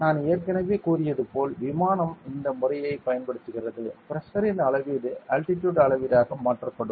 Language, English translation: Tamil, s I already said aircraft use this method to of like; the measurement of Pressure will be converted to the measurement of Altitude